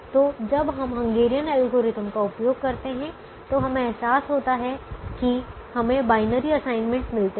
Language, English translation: Hindi, so when we use the hungarian algorithm we realize that we were getting the binary assignments